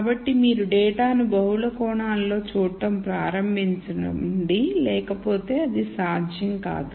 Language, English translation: Telugu, So, you start seeing data in multiple dimensions which is not possible otherwise